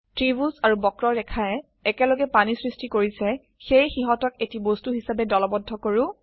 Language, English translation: Assamese, The triangle and the curve together create water, lets group them as a single object